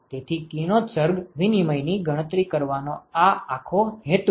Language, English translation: Gujarati, So, that is the whole purpose of calculating the radiation exchange